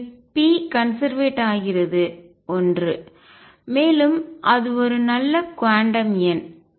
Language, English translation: Tamil, And therefore, p is conserved one and the same thing is a good quantum number